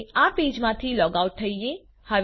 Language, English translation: Gujarati, Lets log out of this page now